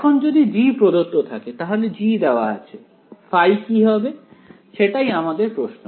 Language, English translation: Bengali, So, now, if I am given g right, so, if I am given now I am given g what is phi that is my question